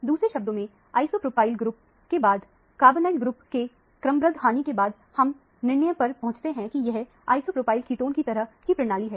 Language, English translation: Hindi, In other words, a sequential loss of first an isopropyl group followed by a carbonyl group comes to – leads to the conclusion that, it is an isopropyl ketone kind of a system